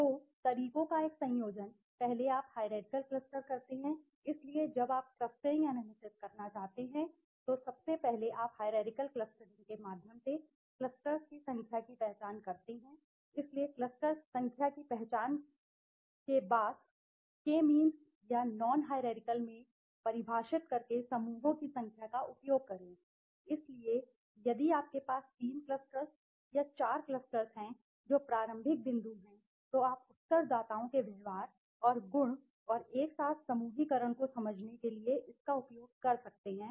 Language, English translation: Hindi, So, a combination of the methods is first you do the hierarchical cluster, so when you want to do the clustering analysis, first you identify the number of clusters through the hierarchical clustering right, so identified the number of clusters and after that use that number of clusters by defining into the k means or the non hierarchical right, so if you have 3 clusters or 4 clusters that starting point you can use it for understanding the behavior and trait of respondents and the grouping them together